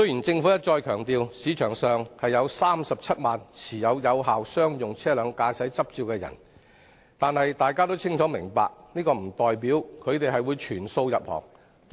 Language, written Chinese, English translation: Cantonese, 政府一再強調，本港有37萬人持有有效商用車輛駕駛執照，但大家都清楚明白，這並不代表他們會全部投身運輸業。, The Government has repeatedly stressed that there are 370 000 holders of valid driving licences for various classes of commercial vehicles in Hong Kong . However we all know and understand that this does not mean all of them will pursue a career in the transport sector